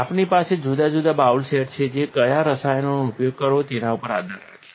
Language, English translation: Gujarati, We have different bowl sets that are depending on which chemical to using